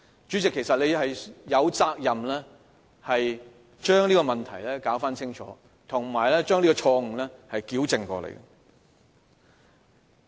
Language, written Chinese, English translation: Cantonese, 主席，其實你有責任要將這問題弄清楚，以及糾正這錯誤。, President you owe us a clarification here and you must rectify the mistake